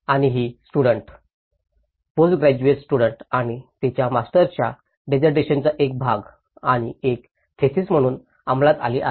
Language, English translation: Marathi, And this has been executed by the student, a postgraduate student and as a part of her master's dissertation and as well as a thesis